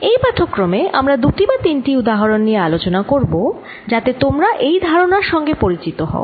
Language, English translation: Bengali, in this lecture we are going to look at two or three examples so that you get familiar with these concepts